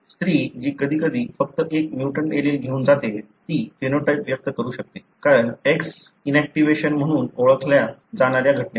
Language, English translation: Marathi, The female who is carrying only one mutant allele at times may express a phenotype, because of the phenomenon called as X inactivation